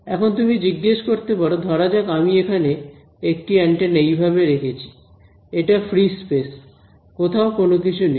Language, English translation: Bengali, Now, you might ask supposing I put an antenna like this over here, and it is in free space absolutely nothing anywhere